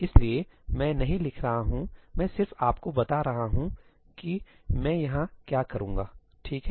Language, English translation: Hindi, So, I am not writing; I am just telling you what I will do over here, right